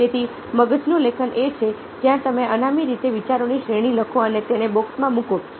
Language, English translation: Gujarati, so brain writing is where you write down of ideas and profit in to a box